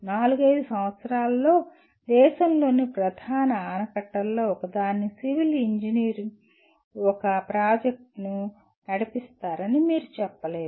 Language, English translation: Telugu, You cannot say a Civil Engineer will lead a project to define let us say one of the major dams in the country within four to five years